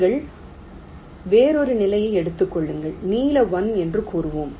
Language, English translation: Tamil, you take another state, lets say blue one